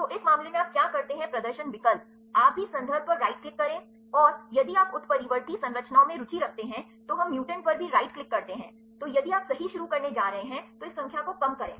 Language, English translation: Hindi, So, what you do in this case the display option, you also click on the reference right and, if you are interested in the mutant structures, then we take click on mutant also right, then if you going to starts right then reduce this number